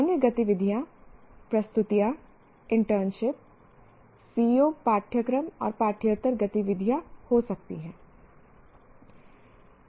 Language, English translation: Hindi, Other activities could be presentations, internship, co curricular and extracurricular activities